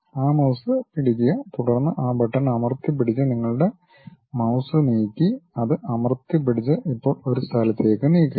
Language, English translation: Malayalam, Hold that mouse, then move your mouse by holding that button press and hold that and now move it to one location